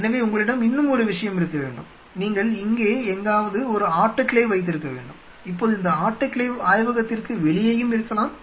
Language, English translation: Tamil, So, you have to have one more thing, you have to have an autoclave somewhere out here, now this autoclave can be outside the lab also